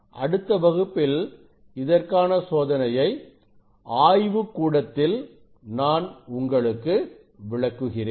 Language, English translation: Tamil, And I think in next class I will demonstrate the experiment in our lab